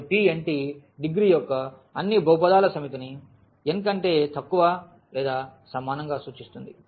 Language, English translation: Telugu, So, P n t denotes the set of all polynomials of degree less than or equal to n